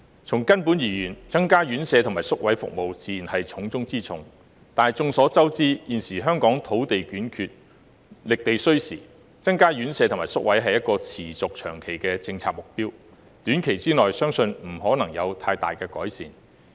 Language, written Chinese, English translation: Cantonese, 從根本而言，增加院舍和宿位服務自然是重中之重，但眾所周知，現時香港土地短缺，覓地需時，增加院舍和宿位是持續長期的政策目標，短期內相信不可能有太大改善。, Basically increasing the number of residential care homes RCHs and places is the top priority . However as we all know Hong Kong is short of land and it takes time to identify land . Thus increasing the number of RCHs and places remains a long - term policy objective and it is unlikely that marked improvement will be made in the short term